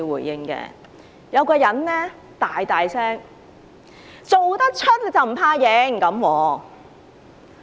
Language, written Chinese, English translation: Cantonese, 有人大聲說："做得出就不怕認！, Someone said loudly I dare admit what I have done!